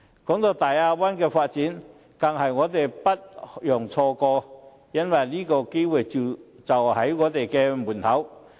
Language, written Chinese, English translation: Cantonese, 談到大灣區的發展，我們更是不容錯過，因為這機會就在我們的門口。, Speaking of the development of the Bay Area we cannot even miss the opportunity as it is right on our doorstep